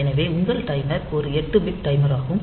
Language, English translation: Tamil, So, your timer is an 8 bit timer